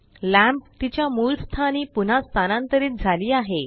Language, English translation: Marathi, The lamp moves back to its original location